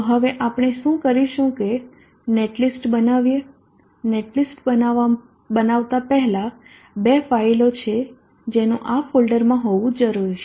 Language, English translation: Gujarati, So now what we will do is to create a net list before creating the net list there are two files that needs to exist in this folder one is the PV